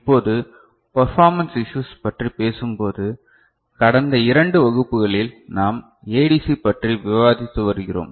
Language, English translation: Tamil, Now, when you talk about performance issues, and we have been discussing ADC in last two classes